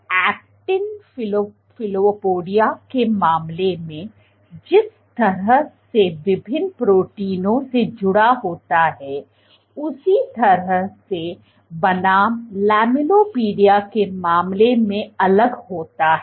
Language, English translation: Hindi, So, filopodia in the way the actin is cross linked by various proteins is different in case of filopodia versus in case of lamellipodia